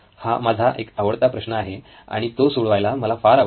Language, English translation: Marathi, One of my favourite problems because I love to solve this problem